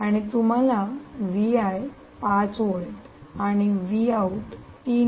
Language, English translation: Marathi, indeed it is three volts